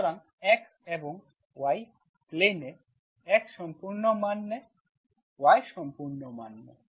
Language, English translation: Bengali, So x and y in the plane, x takes the full values, y takes the full values